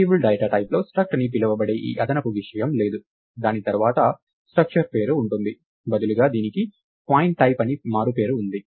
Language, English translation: Telugu, Only that the variable's data type doesn't have this extra thing called struct followed by the structure name, instead it has this nick name called pointType